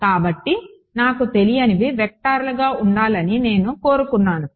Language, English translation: Telugu, So, I wanted my unknowns to be vectors